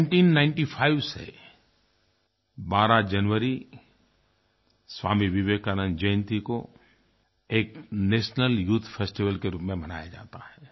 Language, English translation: Hindi, Since 1995, 12th January, the birth Anniversary of Vivekananda is celebrated as the National Youth Festival